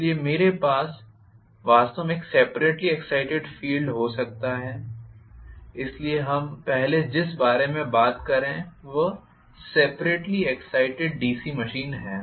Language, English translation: Hindi, So, I can have really a separately excited field, so the first one we are talking about is separately excited DC machine